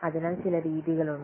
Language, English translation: Malayalam, So, those methods are there